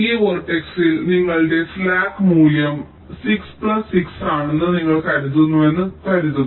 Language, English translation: Malayalam, suppose you find that in this vertex your slack was, let say slack value ah, six plus six